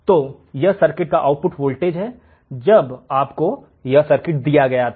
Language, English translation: Hindi, So, this is the value of the output voltage when the circuit is given to you